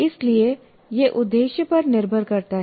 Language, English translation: Hindi, So it depends on the objective